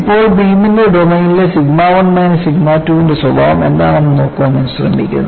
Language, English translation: Malayalam, Now, you try to look at what would be the nature of sigma 1 minus sigma 2 in the domain of the beam